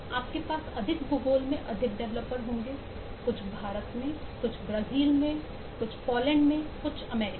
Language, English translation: Hindi, you will have more developers in more geography: some in india, some in brasil, some in poland, some in us